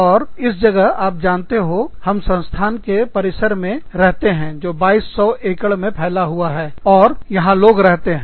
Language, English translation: Hindi, And, in this place, you know, we live in a campus, that has the, that is spread over, 2200 acres